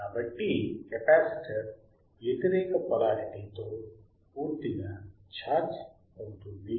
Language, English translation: Telugu, So, at the capacitor gets fully charged with the opposite polarities right